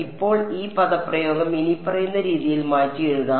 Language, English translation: Malayalam, Now this expression can also be rewritten in the following way